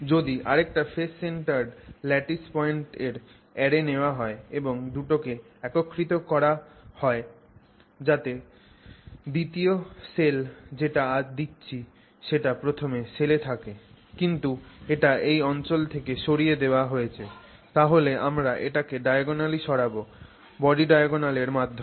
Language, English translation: Bengali, So, if you now take one more phase centered array of lattice points, okay, and you merge the two such that the second cell that you are putting enters the first cell but is removed from this this point from this location with with from this location rather from this location we shifted diagonally through the body diagonal so So, what is the body diagonal